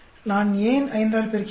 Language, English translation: Tamil, Why do I if multiply by 5